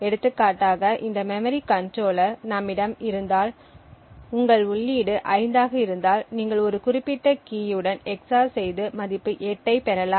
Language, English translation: Tamil, So, for example if we have this memory controller what we could possibly do is if your input is 5 you EX OR it with a certain specific key and obtain a value of 8